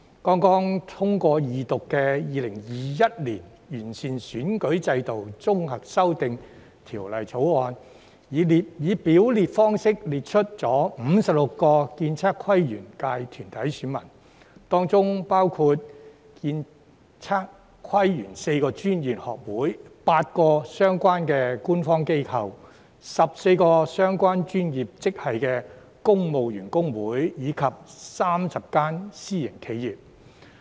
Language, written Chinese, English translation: Cantonese, 剛通過二讀的《2021年完善選舉制度條例草案》，以表列方式列出56個建測規園界團體選民，當中包括建、測、規、園4個專業學會、8個相關官方機構、14個相關專業職系的公務員工會，以及30間私營企業。, The Improving Electoral System Bill 2021 the Bill which has just gone through Second Reading has set out a list of 56 corporate electors of the ASPL subsector including 4 professional institutes 8 relevant government organizations 14 civil service unions of the relevant professional grades and 30 private enterprises